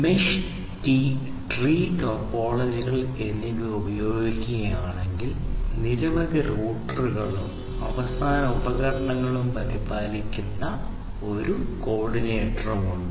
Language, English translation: Malayalam, If the mesh and the tree topologies are used there is one coordinator that maintains several routers and end devices